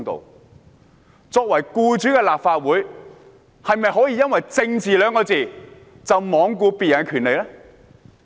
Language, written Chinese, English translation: Cantonese, 立法會作為僱主，是否可以因為"政治"二字便罔顧別人的權利呢？, As their employer can the Legislative Council disregard the rights of others merely because of politics?